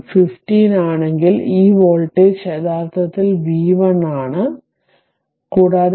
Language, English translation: Malayalam, So, if v 1 is ah 15, then ah that means, this voltage this voltage actually v 1 right